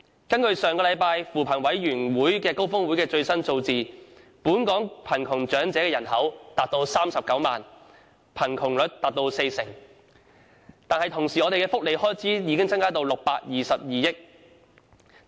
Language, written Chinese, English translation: Cantonese, 根據上星期扶貧委員會高峰會公布的最新數字，本港貧窮長者人口為39萬人，貧窮率達四成。與此同時，我們的福利開支已增加至622億元。, According to the latest figures announced by the Commission on Poverty at the Summit last week the size of the elderly population living in poverty in Hong Kong is 390 000 at a poverty rate of 40 %